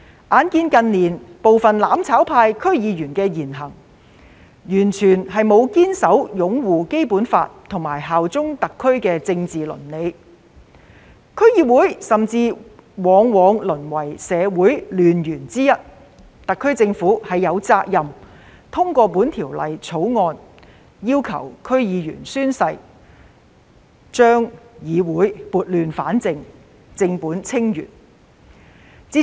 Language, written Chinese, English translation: Cantonese, 鑒於近年部分"攬炒派"區議員的言行，完全沒有堅守擁護《基本法》及效忠特區的政治倫理，區議會甚至往往淪為社會亂源之一，特區政府實在有責任通過《條例草案》要求區議員宣誓，將議會撥亂反正，正本清源。, In recent years as the words and deeds of some District Council DC members from the mutual destruction camp were completely at odds with the political ethics of upholding the Basic Law and bearing allegiance to SAR DCs have often been reduced to become the source of social disorder . The SAR Government is indeed duty - bound to introduce the oath - taking requirement for DC members through the Bill so as to restore order from chaos and solve problems at root